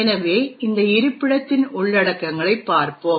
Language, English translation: Tamil, So, let us actually look at the contents of this location